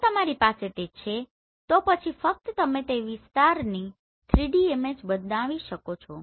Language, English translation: Gujarati, If you have this, then only you can generate the 3D image of that particular area